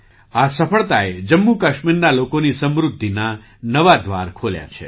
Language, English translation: Gujarati, This success has opened new doors for the prosperity of the people of Jammu and Kashmir